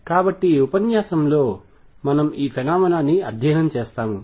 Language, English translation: Telugu, So, we will study this phenomena in this lecture